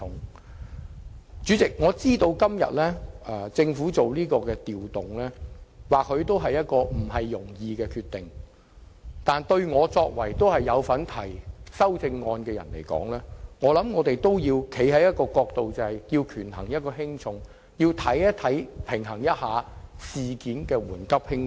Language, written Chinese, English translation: Cantonese, 代理主席，我知道政府作這調動也不是容易的決定，但作為有份提出修正案的議員，我認為有必要從權衡輕重的角度出發，釐定事情的緩急輕重。, Deputy Chairman I understand that it is not an easy decision for the Government to make such a change but as a Member who has proposed an amendment to the Bill I consider it necessary to weigh the pros and cons and set priorities